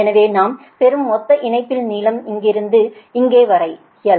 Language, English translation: Tamil, so what we are doing from the receiving end, total line length from here to here is l